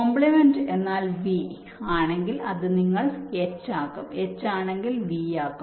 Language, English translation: Malayalam, complement means if it is a v, you make it h, if it h, you make it v